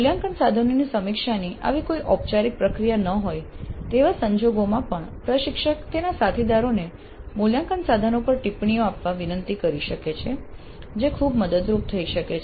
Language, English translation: Gujarati, Even in situations where there is no such formal process of review of the assessment instruments the instructor can request her colleagues to give comments on the assessment instruments